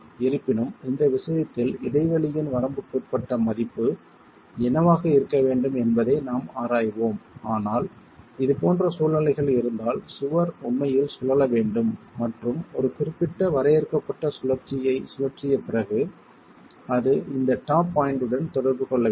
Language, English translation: Tamil, However, in this case, we will examine what that limiting value of the gap must be but let's assume if we have this sort of situation the wall must actually rotate and after rotating a certain finite rotation it will come into contact at the top point